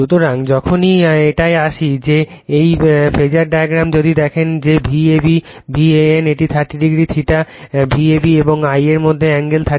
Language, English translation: Bengali, So, whenever you come to this one , that your this phasor diagram if, you see that V a b V a n it is 30 degree theta angle between V a b and I a is 30 degree plus theta